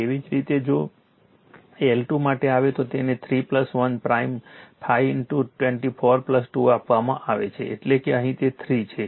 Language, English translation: Gujarati, Similarly if you come for L 2 it is given 3 plus 1 plus prime 5 into 2 4 plus 2, that is here it is 3